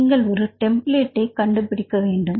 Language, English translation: Tamil, You have to find the templates